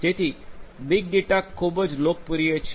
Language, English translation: Gujarati, So, big data analytics is very popular